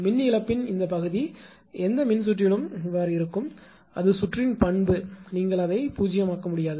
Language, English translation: Tamil, This part of the power loss will remain in any electrical circuit; that is the inherent property of any circuit; you cannot make it to 0